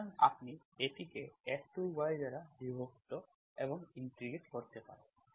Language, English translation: Bengali, So you can divide it F2 y dy and integrate